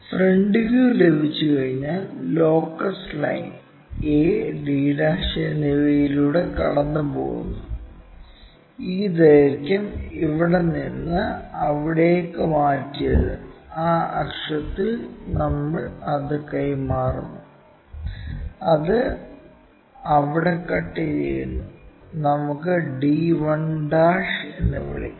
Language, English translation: Malayalam, Once front view is there, the locus line passes by a d' and this point, because this length what we have transferred from here to there; we transfer it on that axis it cuts there, let us call d 1'